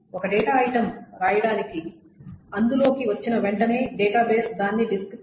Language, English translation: Telugu, So as soon as a write is available, the database doesn't go and write it back to the disk